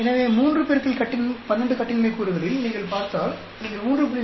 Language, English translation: Tamil, So, in 3 into 12 degrees of freedom, if you are looking at, you will use 3